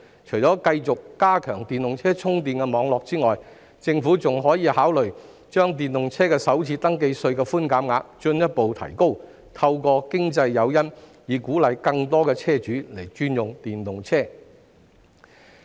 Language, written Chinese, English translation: Cantonese, 除了繼續加強電動車充電網絡外，政府亦可考慮進一步提高電動車的首次登記稅寬免額，透過經濟誘因鼓勵更多車主轉用電動車。, Apart from continuing to expand the EV charging network the Government may also consider further raising the maximum FRT concession for EVs thereby providing an economic incentive to encourage more vehicle owners to switch to EVs